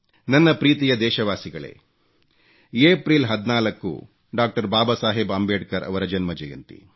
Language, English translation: Kannada, My dear countrymen, April 14 is the birth anniversary of Dr